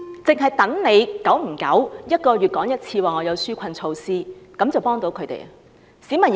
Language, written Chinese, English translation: Cantonese, 只等政府每個月說有紓困措施，便幫到市民？, Can people get help simply waiting for the Government to announce relief measures month on month?